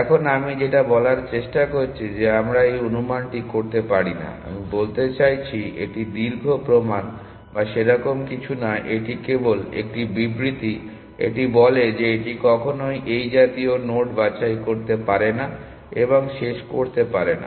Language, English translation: Bengali, Now what I am trying to say that we cannot make this assumption, I mean it is not the long proof or something it just 1 statement it say that it can never pick this such a node and terminate